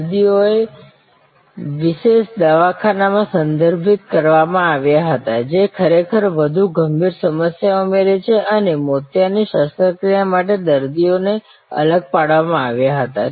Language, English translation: Gujarati, Patients were referred to specialty clinics, who add actually more critical problem and patients for cataract surgery were segregated